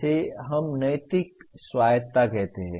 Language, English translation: Hindi, That is what we call moral autonomy